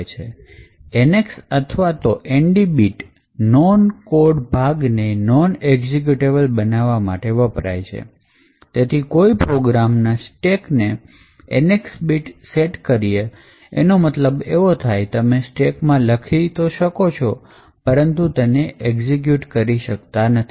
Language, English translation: Gujarati, So, the NX bit or the ND bit is present to mark the non code regions as non executable thus the stack of the particular program would be having its NX bits set which would mean that you could write to the stack but you cannot execute from that stack